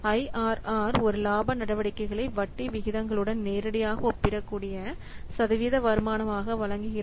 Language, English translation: Tamil, IRR provides a profitability measure as a percentage return that is directly comparable with interest rates